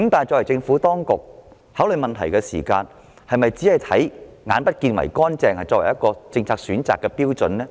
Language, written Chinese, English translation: Cantonese, 政府當局考慮問題時，是否只以"眼不見為乾淨"作為政策選擇的標準呢？, When considering a matter will the Administration adopt a mindset of getting problems out of sight as its criterion for policy selection?